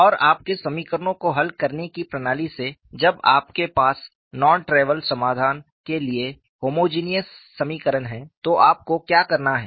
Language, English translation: Hindi, And, from your system of solving equations, when you have homogeneous equation for non trivial solution, what is it that you have to do